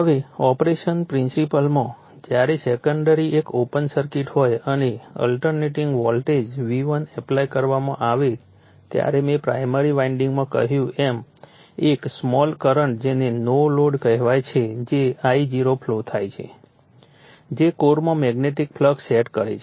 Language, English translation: Gujarati, Now, principles of a principle of operation, when the secondary is an open circuit and an alternating voltage V1 is applied I told you to the primary winding, a small current called no load that is I0 flows right, which sets up a magnetic flux in the core